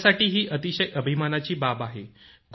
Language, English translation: Marathi, It is a matter of great pride for me